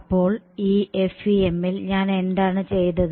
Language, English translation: Malayalam, So, in the FEM what did I do